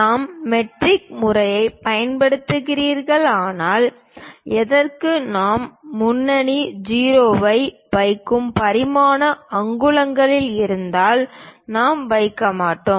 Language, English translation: Tamil, If we are using metric system ,for anything the dimension we put leading 0, if it is inches we do not put